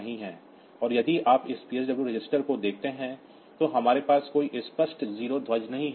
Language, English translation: Hindi, So, there is no 0 flag, actually and if you look into this PSW register, so we do not have any explicit 0 flag